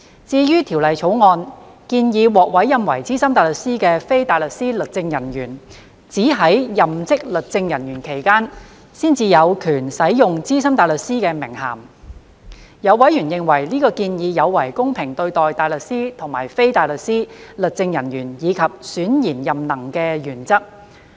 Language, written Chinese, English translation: Cantonese, 至於《條例草案》建議獲委任為資深大律師的非大律師律政人員，只在任職律政人員期間，才有權使用資深大律師的名銜，有委員認為，這建議有違公平對待大律師和非大律師律政人員及選賢任能的原則。, As regards the proposal in the Bill that a legal officer appointed as SC is only entitled to use the title of SC when holding office as a legal officer some members considered this contrary to giving fair treatment to barristers and legal officers as well as the merit - based selection principles